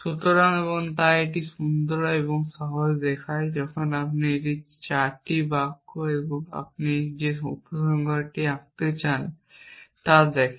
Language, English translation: Bengali, So, and so it look nice and simple when you look at just these 4 sentences and the conclusion that you want to draw